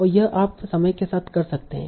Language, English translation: Hindi, And that you can do over time